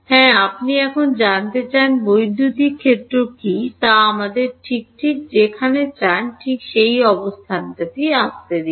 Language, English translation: Bengali, Yeah, you want to know now what is electric field let us at the location exactly you want to